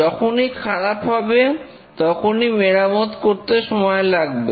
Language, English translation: Bengali, So, each time there is a failure, some time is needed to fix it